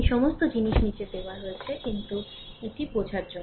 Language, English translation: Bengali, Every all these things are given downwards, but this is for your understanding